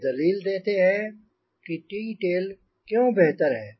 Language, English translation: Hindi, so that is why t tail is better